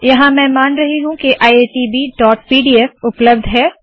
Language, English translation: Hindi, Here I am assuming that iitb.pdf is available